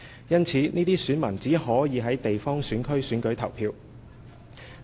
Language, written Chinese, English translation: Cantonese, 因此，這些選民只可就地方選區選舉投票。, As a result these electors were only eligible to vote in the geographical constituencies